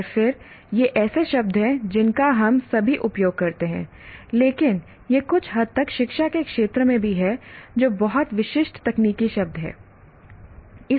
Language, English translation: Hindi, And then these are the words that we all use, but these are also somewhat in the education field, these are very specific technical words